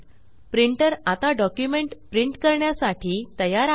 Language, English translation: Marathi, Our printer is now ready to print our documents